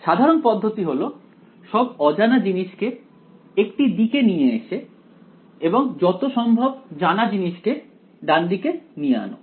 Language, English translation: Bengali, Standard technique gather all the unknowns on one side move as many knowns as possible to the right hand side right